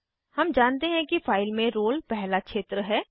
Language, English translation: Hindi, We know that roll is the first field in the file